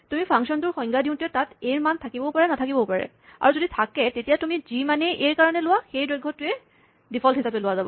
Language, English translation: Assamese, So, when the function is defined, there will be, or may not be a value for A and whatever value you have chosen for A, if there is one, that length will be taken as a default